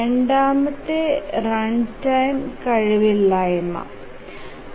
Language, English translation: Malayalam, The second is runtime inefficiency